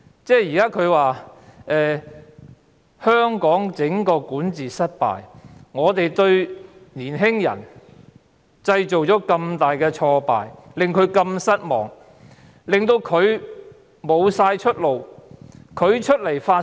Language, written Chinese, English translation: Cantonese, 整個香港管治失敗，令年輕人大感挫敗，令他們如此失望，令到他們喪失出路。, The young people are frustrated disappointed and lost their prospects as a result of the failure of governance in Hong Kong